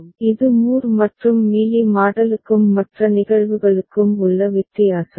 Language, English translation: Tamil, So, this is the difference between Moore and Mealy model and for the other cases also